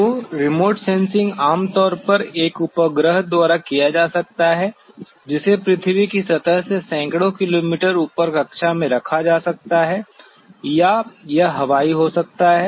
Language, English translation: Hindi, So, the remote sensing generally could be done by a satellite which can be put into an orbit as hundreds of kilometers above the earth surface or it could be airborne